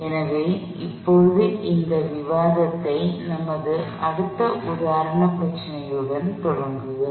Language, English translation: Tamil, So, we will now continue this discussion with are next example problem